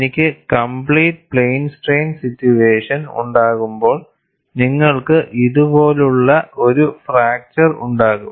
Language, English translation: Malayalam, When I have a complete plane strain situation, you will have a fracture like this